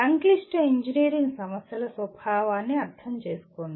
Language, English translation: Telugu, Understand the nature of complex engineering problems